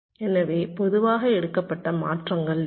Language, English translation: Tamil, so which are most commonly taken, transitions